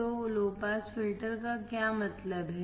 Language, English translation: Hindi, So, what does low pass filter means